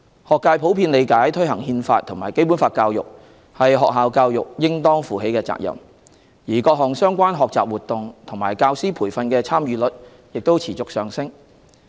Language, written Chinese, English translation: Cantonese, 學界普遍理解推行《憲法》和《基本法》教育是學校教育應當負起的責任，而各項相關學習活動和教師培訓的參與率亦持續上升。, The school sector generally understands that it is their responsibility to promote the Constitution and Basic Law education . The participation rates of various learning activities and teacher training on Basic Law education are also continuously increasing